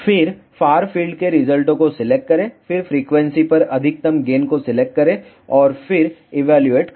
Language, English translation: Hindi, Then select far field results, then select maximum gain over frequency ok and then evaluate